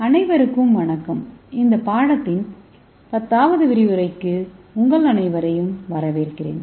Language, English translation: Tamil, Hello everyone I welcome you all to the 10th lecture of this course